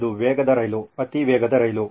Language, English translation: Kannada, It is a fast train, high speed train